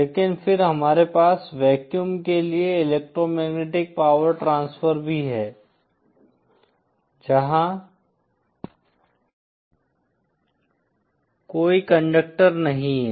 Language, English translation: Hindi, But then we have also electromagnetic power transfer to vacuum, where there are no conductors